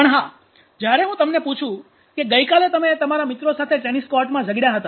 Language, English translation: Gujarati, But yes when I ask you had a fight yesterday in the tennis court with your friends how long it is going to last sir